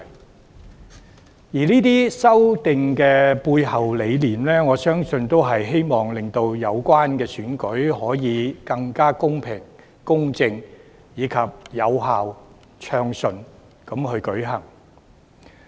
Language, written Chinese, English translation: Cantonese, 我相信作出這些修訂背後的理念，是希望令有關選舉更公平公正和暢順有效地舉行。, I believe the rationale behind these amendments is to ensure that the elections will be smoothly and effectively conducted in a fairer and more just manner